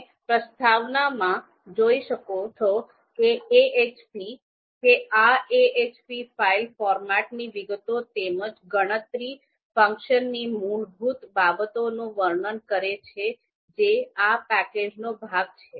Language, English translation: Gujarati, You can see introduction, that this describes the details of the ahp file format as well as the basics of the calculate process that is part of this package